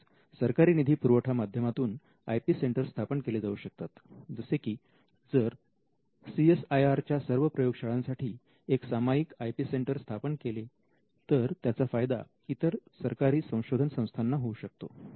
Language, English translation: Marathi, So, if the IP centre sits in an inter university centre that could also bring down the cost of establishing an IP centre and you could also have government funded IP centres like if all the CSIR labs have a common IP centre that could also facilitate for other government research organizations